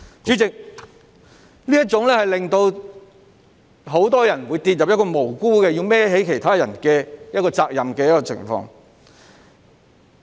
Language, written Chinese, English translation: Cantonese, 主席，這會令很多人無辜地要要為其他人的行為負上責任。, President many people will be wrongly held responsible for other peoples acts